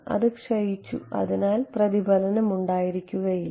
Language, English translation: Malayalam, So, it has decayed and there is no reflection right